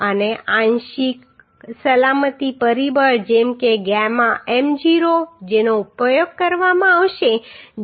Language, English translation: Gujarati, And partial safety factor like gamma m0 which will be used that is 1